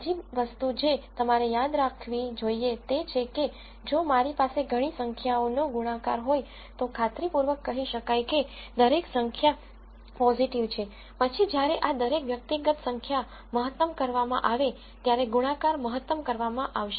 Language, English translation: Gujarati, The other thing that you should remember is let us say I have a product of several numbers, if I am guaranteed that every number is positive right, then the product will be maximized when each of these individual numbers are maximized